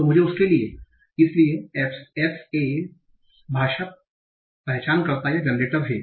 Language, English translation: Hindi, So for that, so FSA is R language recognizes all generators